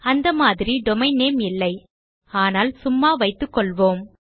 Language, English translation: Tamil, I dont actually have that domain name but well just keep it as that